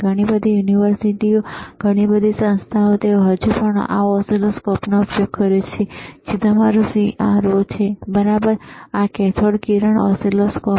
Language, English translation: Gujarati, Lot of universities, lot of institutes, they still use this oscilloscope, which is your CRO, all right, or cathode ray oscilloscope